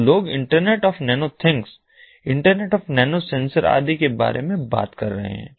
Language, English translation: Hindi, so people are talking about building internet of nano things, inter internet of nano sensors and so on